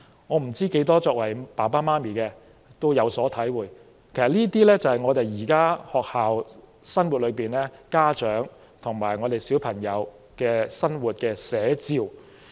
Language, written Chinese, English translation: Cantonese, 我不知道有多少父母親會有所體會，但這些都是我們現時的學校生活、家長和小朋友的生活寫照。, I do not know how many parents can identify with these experiences but these are a true reflection of the school life now and the parent - children interactions